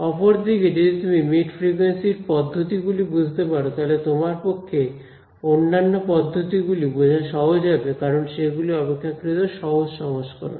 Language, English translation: Bengali, On the other hand, if you understand mid frequency methods, it is much easier for you to understand the other methods because they are simpler version right